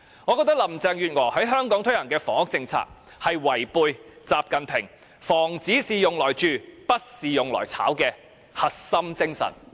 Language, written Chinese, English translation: Cantonese, 我覺得林鄭月娥在香港推行的房屋政策，是違背習近平"房子是用來住的，不是用來炒"的核心精神。, I reckon the housing policy introduced by Carrie LAM in Hong Kong is contradictory to the core spirit of houses are for habitation not speculation espoused by XI Jinping